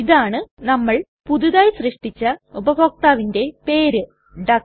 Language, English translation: Malayalam, And here is our newly created user named duck